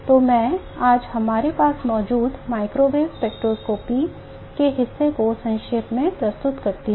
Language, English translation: Hindi, So let me summarize the part of microwave spectroscopy that we have today